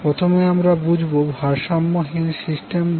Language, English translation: Bengali, First let us understand what is unbalanced system